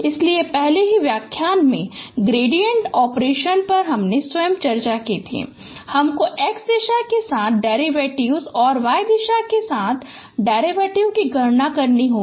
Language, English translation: Hindi, So you know the gradient operations we have already this in the very first lecture itself I discuss that you have to take the make you have to compute the derivatives along X direction and derivatives along Y direction